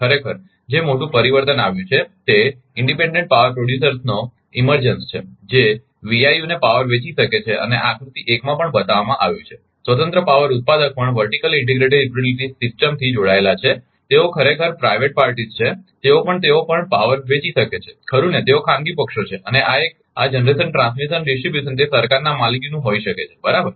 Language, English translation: Gujarati, The major change that has happened actually is the emergence of independent power producers that can sell power to VIU s and these are also shown in figure 1, independent power producer also connected to vertically integrated utility system, they are they are private parties actually, they are also can they can also sell the power right, they are private parties right and this one this generation transmission distribution may be it is owned by government right